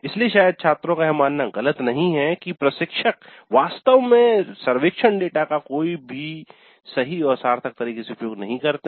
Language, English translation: Hindi, So probably the students are not all that wrong in assuming that instructors really do not use the survey data in any serious and meaningful fashion